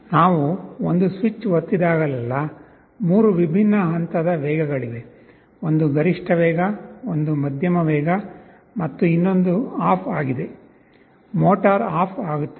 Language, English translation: Kannada, Whenever we press one switch, there are 3 different levels of speed, one is the maximum speed, one is the medium speed and the other is off; motor will be turning off